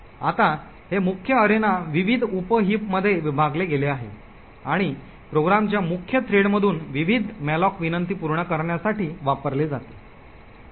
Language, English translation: Marathi, Now this main arena is split into various sub heaps and used to satisfy various malloc invocations from the main thread of the program